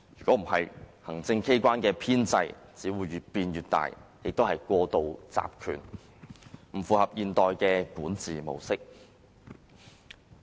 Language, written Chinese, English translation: Cantonese, 否則，行政機關的編制只會越變越大，亦過度集權，不符合現代管治模式。, Otherwise contrary to modern model of governance the establishment of the executive authorities will just snowball and its powers become overly centralized